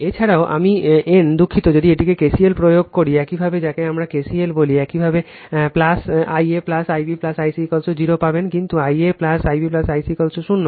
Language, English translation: Bengali, Also I n is equal to sorry if you apply KCL your what we call KCL, you will get in plus I a plus I b plus I c is equal to 0, but I a plus I b plus I c equal to 0